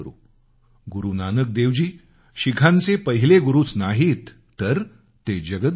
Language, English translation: Marathi, Guru Nanak Dev ji is not only the first guru of Sikhs; he's guru to the entire world